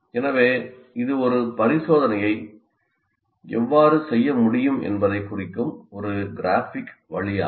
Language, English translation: Tamil, So this is one graphic way of representing how an experiment can be done